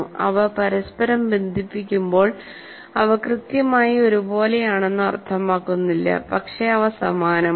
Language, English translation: Malayalam, When they're connected to each other, it doesn't mean they're exactly identical